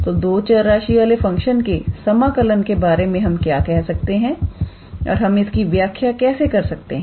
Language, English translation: Hindi, So, what about the integrability of a function of two variables and how do we actually define that